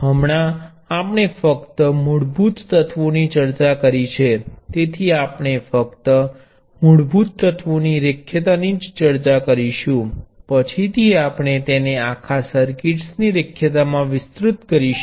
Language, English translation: Gujarati, Right now, we only discussed basic elements, so we will only discuss linearity of elements, later we will expand it to linearity of entire circuits